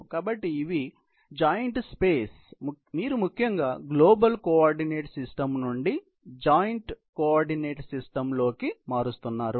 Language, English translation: Telugu, So, these are and the joint space you know, you basically transforming from the global coordinate system into the joint coordinate system